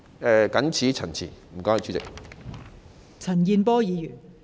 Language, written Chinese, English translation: Cantonese, 我謹此陳辭，多謝代理主席。, I so submit . Thank you Deputy President